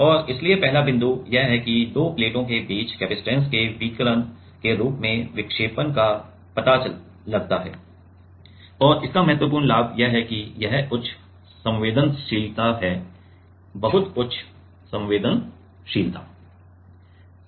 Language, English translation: Hindi, And so, the first point is that detects the deflection as a radiation of capacitance between the two plates, the important advantage of this is this is high sensitivity; very high sensitivity